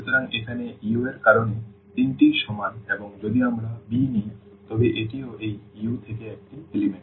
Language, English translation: Bengali, So, here this belongs to U because all three are equal and if we take b this is also an element from this U